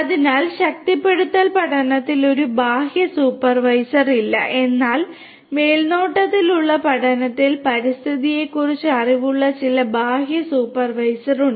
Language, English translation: Malayalam, So, in reinforcement learning there is no external supervisor whereas, in supervised learning there is some external supervisor who has the knowledge of the environment